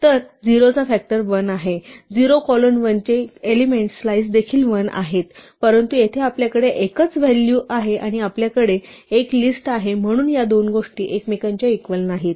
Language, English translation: Marathi, So, factors of 0 is 1, factors of 0 colon 1 the slice is also 1, but here we have a single value here we have a list and therefore, these two things are not equal to each other right